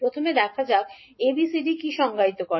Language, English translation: Bengali, Now, how we will define, determine the values of ABCD